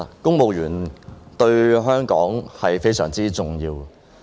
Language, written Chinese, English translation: Cantonese, 公務員對香港非常重要。, The civil service is very important to Hong Kong